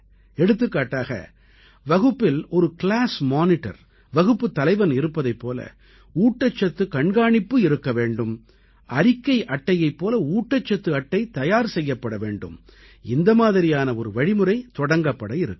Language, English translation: Tamil, Just like there is a Class Monitor in the section, there should be a Nutrition Monitor in a similar manner and just like a report card, a Nutrition Card should also be introduced